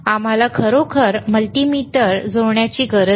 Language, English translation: Marathi, We do not have to really connect a multimeter ;